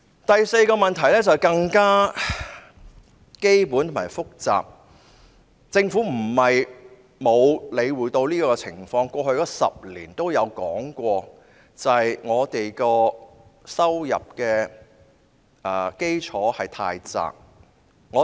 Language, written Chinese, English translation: Cantonese, 第四個問題是更加基本但複雜，政府不是沒有理會這個情況的，在過去10年亦曾提及，就是香港的收入基礎太過狹窄。, The fourth problem is even more fundamental but complicated . It is not that the Government took no notice of this situation . In fact it has been mentioned in the past 10 years that the income base of Hong Kong is too narrow